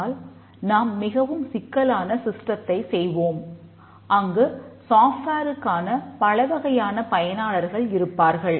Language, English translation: Tamil, But we will do more complex systems where there are many types of users for the software